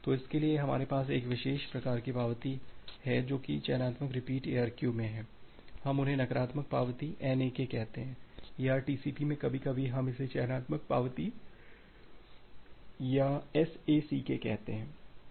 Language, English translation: Hindi, So, for that we have one special type of acknowledgement which is there in selective repeat ARQ, we call them as the negative acknowledgement NAK or some time in TCP it calls selective acknowledgement or SACK